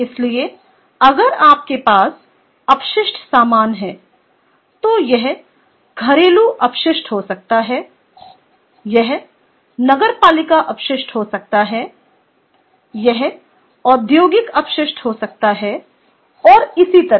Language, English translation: Hindi, ok, so incinerator is: if you have waste products, it can be household waste, it can be municipal waste, ah, it can be industrial waste and so on